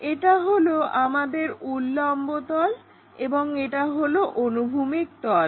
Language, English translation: Bengali, This might be our vertical plane and this is the horizontal plane